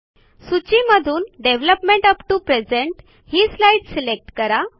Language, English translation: Marathi, Select the slide entitled Development upto present from the list